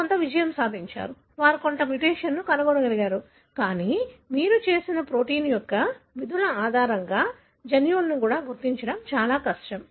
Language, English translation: Telugu, There were some success, they were able to find some mutation, but still it is extremely difficult approach to identify the genes based on the functions of the protein that you know